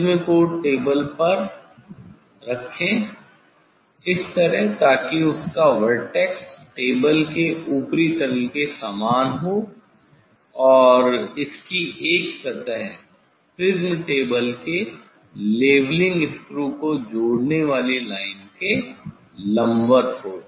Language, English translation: Hindi, Place the prism on the table; place the prism on the table with it is vertex coinciding with that of the top table and with one of its faces perpendicular to the line joining of the leveling screw of the prism table